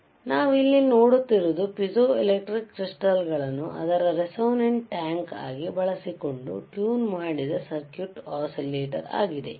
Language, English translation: Kannada, So, what we see here is a tuned circuit oscillator using piezoelectric crystals a as its resonant tank